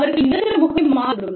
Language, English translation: Tamil, Their permanent address, may change